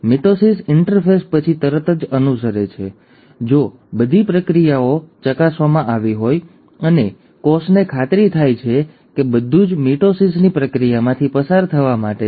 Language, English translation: Gujarati, Mitosis follows right after a interphase, provided all the processes have been checked and the cell is convinced that everything is in order to undergo the process of mitosis